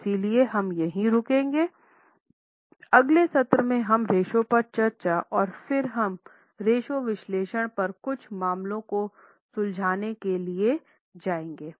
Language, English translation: Hindi, Okay, so we will here in the next session we will continue our discussion on ratios and then we will go for solving certain cases on ratio analysis